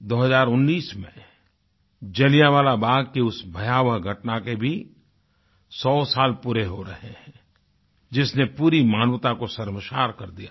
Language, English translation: Hindi, In the year 2019, 100 years of the horrific incident of Jallianwala Bagh will come to a full circle, it was an incident that embarrassed the entire humanity